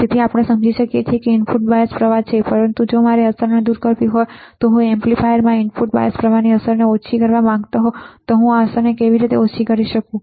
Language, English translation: Gujarati, Now, we understand input bias current is there, but if I want to remove the effect or if I want to minimize the effect of the input bias current in an amplifier, this is how I can minimize the effect